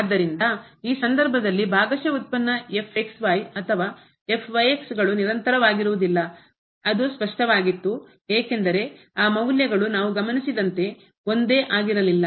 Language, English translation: Kannada, So, in this case the partial derivatives either or they are not continuous which was clear because those values were not same as we have observed